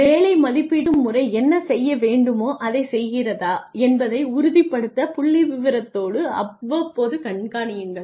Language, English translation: Tamil, Examine statistical evidence periodically to ensure that the job evaluation system is doing what it is supposed to do